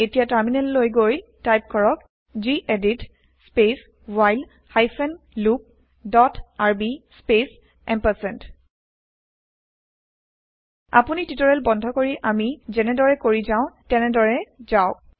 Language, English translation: Assamese, Now let us switch to the terminal and type gedit space redo hyphen loop dot rb space You can pause the tutorial, and type the code as we go through it